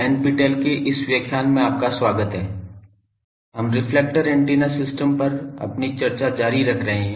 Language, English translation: Hindi, Welcome to this NPTEL lecture, we are continuing our discussion on Reflector Antenna system